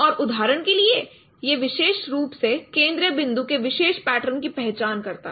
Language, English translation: Hindi, And this is uniquely identifying this particular pattern, for example, it uniquely identifies the central point